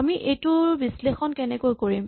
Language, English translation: Assamese, How do we analyze this